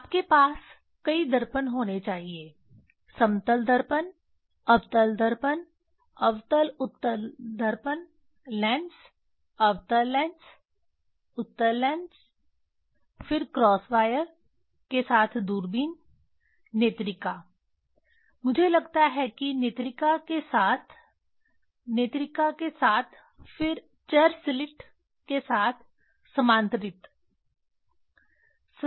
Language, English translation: Hindi, You should have in there should be several mirrors plane mirrors, concave mirror, concave convex mirrors, lenses, concave lenses, convex lenses, then telescope with crosswire, eyepiece; I think eyepiece with eyepiece with eyepiece, then collimator with variable slit